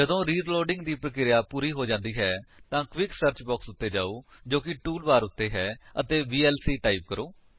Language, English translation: Punjabi, When the process of reloading is complete, let us go to the quick search box present which is on the tool bar and type vlc